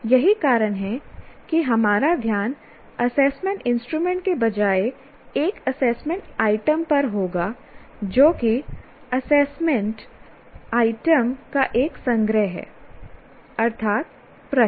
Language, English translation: Hindi, That is why our focus will be on an individual assessment item rather than assessment instrument which is a collection of assessment items, namely the questions